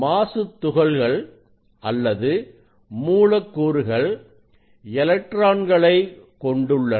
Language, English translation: Tamil, any particle any molecule they have electrons